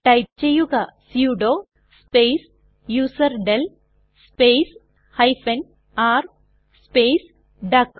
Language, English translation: Malayalam, Here type sudo space userdel space r space duck